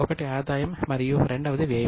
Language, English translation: Telugu, The other one is expense